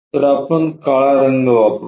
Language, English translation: Marathi, So, let us use a black